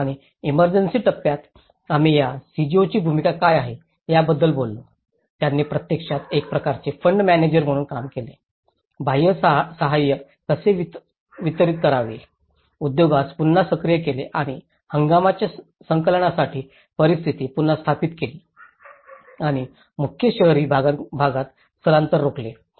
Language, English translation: Marathi, And here, in the emergency phase, we talk about what is the role of this CGOs, they actually worked as a kind of fund managers, how to distribute the external aid, reactivating the industry and re establishing conditions for collection of seasons harvest and preventing migration to main urban areas